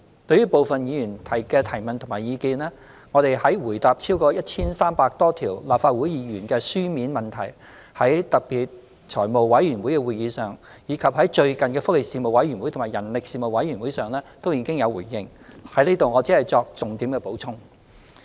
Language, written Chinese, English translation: Cantonese, 對於部分議員的提問與意見，我們在回答超過 1,300 多項由立法會議員提出的書面質詢，在財務委員會特別會議及最近的福利事務委員會及人力事務委員會會議上，均已作出回應，在這裏我只作重點補充。, Regarding the questions and views of certain Members we have responded to them in our replies to the 1 300 - odd written questions asked by Members of the Legislative Council at the special meetings of the Finance Committee and the latest meetings of the Panel on Welfare Services and Panel on Manpower . Hence I will only supplement with some salient points